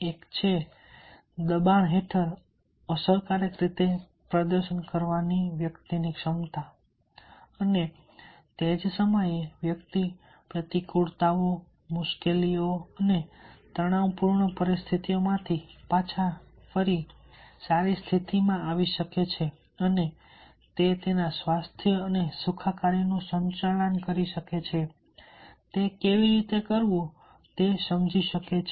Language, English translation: Gujarati, one is that it is the ability in the part of the individual to perform effectively under pressure and at the same time, he individual can bounce back from adversities, difficulties and stressful situations and he can manage health and well being and understand how to achieve optimum performance in such stressful situations